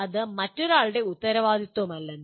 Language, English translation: Malayalam, That it is not responsibility of somebody else